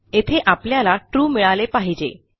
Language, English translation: Marathi, Here we should get True